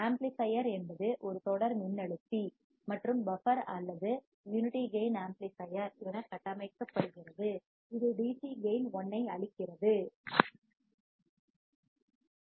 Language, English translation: Tamil, The amplifier is configured as a voltage follower or a buffer or a unity gain amplifier giving it a DC gain of 1; AV=1